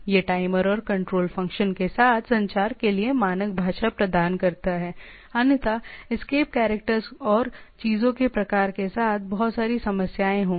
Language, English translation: Hindi, Provided standard language for communication for the timer and control function otherwise there will be lot of problem with the escape characters and type of thing